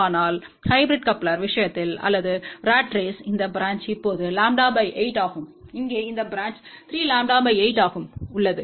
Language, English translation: Tamil, But in case of hybrid coupler or ratrace, this branch is now lambda by 8 and this branch here is 3 lambda by 8